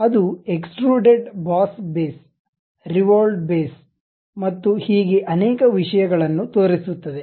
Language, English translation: Kannada, Then it shows something like extruded Boss Base, Revolved Base and many things